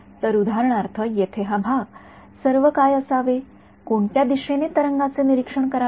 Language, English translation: Marathi, So, for example, this part over here what all should be in what direction should it observe the wave